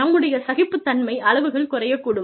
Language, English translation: Tamil, My tolerance levels, could go down